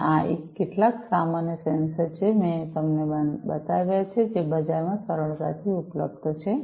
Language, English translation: Gujarati, And these are some of these common sensors that I have shown you which are readily available in the market